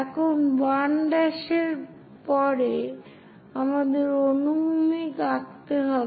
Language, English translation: Bengali, Now, at 1 prime onwards, we have to draw horizontal